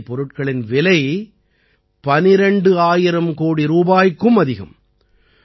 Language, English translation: Tamil, The cost of these drugs was more than Rs 12,000 crore